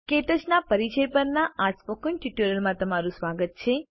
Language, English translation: Gujarati, Welcome to the Spoken Tutorial Introduction to KTouch